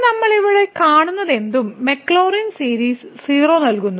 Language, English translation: Malayalam, And then what we see here whatever we keep the maclaurin series is giving 0